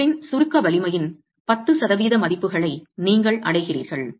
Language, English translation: Tamil, You are reaching values of 10% of the compressive strength of the material